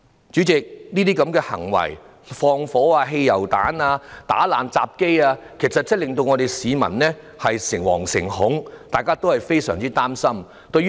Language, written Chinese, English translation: Cantonese, 主席，這些縱火、投擲汽油彈、打爛入閘機等行為，其實真的令市民誠惶誠恐，大家也非常擔心。, President such acts as arson hurling petrol bombs and smashing up turnstiles have indeed caused fears and anxieties among the people . We are all very worried